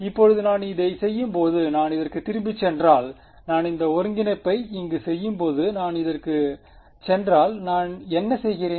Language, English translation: Tamil, Now, when I am doing this if we go back to this when I am doing this integration over here what am I holding fixed